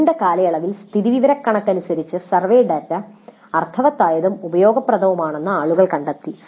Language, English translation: Malayalam, But over a long period people have discovered that by and large statistically the survey data can be meaningful and useful